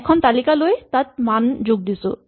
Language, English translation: Assamese, Just take a list and add a value